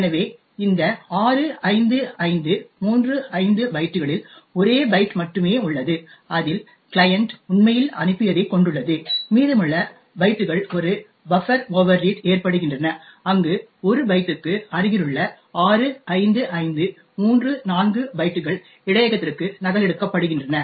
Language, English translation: Tamil, So, out of these 65535 bytes there is only one byte which contains what the client had actually sent and the remaining bytes is due to a buffer overread where 65534 byte adjacent to that one byte is copied into the buffer